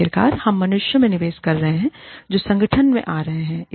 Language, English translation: Hindi, After all, we are investing in human beings, who are coming to the organization